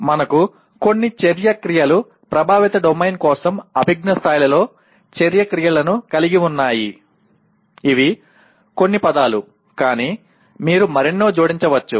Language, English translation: Telugu, Some of the action verbs like we have action verbs in cognitive level for affective domain, these are a few words but you can add many more